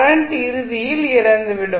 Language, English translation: Tamil, The current will eventually die out